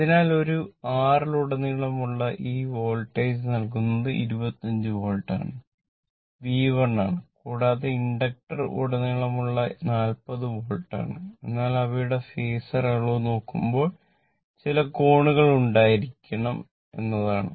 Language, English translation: Malayalam, So, across R the Voltage is given your 25 Volt, this is magnitude say it is 25 Volt angles are not known